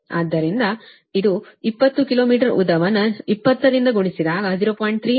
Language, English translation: Kannada, so it is twenty kilometer length multiplied by twenty